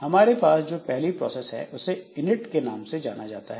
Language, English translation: Hindi, So, we have got the first process which is known as the init, okay